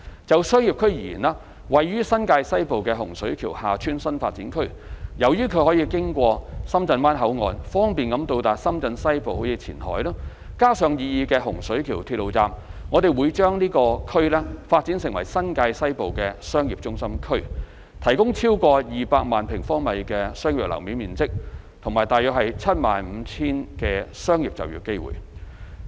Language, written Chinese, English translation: Cantonese, 就商業區而言，位於新界西部的洪水橋/廈村新發展區，由於它可經深圳灣口岸，方便到達深圳西部如前海，加上擬議的洪水橋鐵路站，我們會把這區發展為新界西部的商業中心區，提供超過200萬平方米的商業樓面面積及約 75,000 個商業就業機會。, As far as commercial district is concerned we will develop the Hung Shui KiuHa Tsuen New Development Area NDA in the western New Territories into a commercial hub of the western New Territories because of its easy access to the western part of Shenzhen such as Qianhai via the Shenzhen Bay Port and the proposed Hung Shui Kiu Railway Station . This NDA will provide more than 2 million sq m of commercial floor area and about 75 000 job opportunities